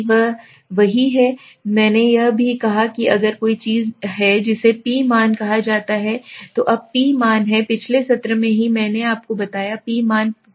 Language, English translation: Hindi, This is one; I also said if there is something called a P value, now a P value in the last session only I told you P value is the probability value